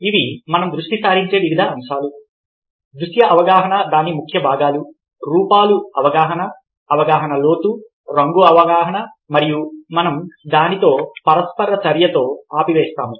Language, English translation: Telugu, these are the various thing we will be focusing on: visual perception, its key components form perception, depth perception, colour perception and we will stop the interaction with that